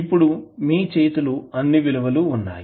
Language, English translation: Telugu, Now, you have all the values in the hand